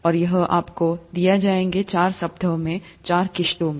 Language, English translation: Hindi, And this would be given to you in four installments over four weeks